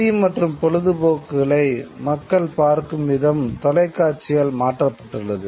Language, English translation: Tamil, The way people view news and entertainment has been altered by television